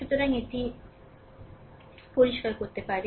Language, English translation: Bengali, So, may clear it, right